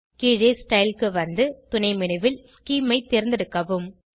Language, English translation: Tamil, Scroll down to Style, select Scheme from the sub menu